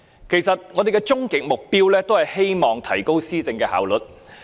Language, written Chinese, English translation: Cantonese, 其實，我們的終極目標，都是希望提高施政效率。, In fact our ultimate goal is to improve the efficiency of governance